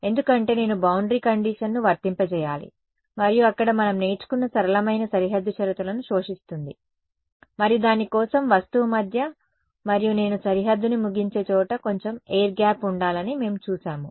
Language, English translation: Telugu, Because I need to apply the boundary condition and there the simplest boundary condition which we have learnt are absorbing boundary conditions and for that we have seen that there needs to be a little bit of air gap between the object and where I terminate the boundary right